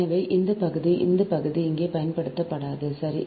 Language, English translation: Tamil, so this portion, this portion will not use here, right